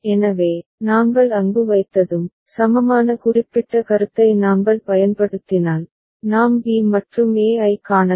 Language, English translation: Tamil, So, once we have put there and we employ that the particular concept of equivalence, we can see b and e right